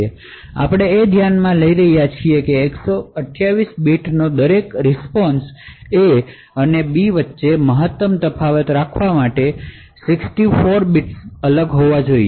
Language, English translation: Gujarati, So if we are considering that each response of 128 bits in order to have maximum difference between A and B, ideally A and B should vary in 64 bits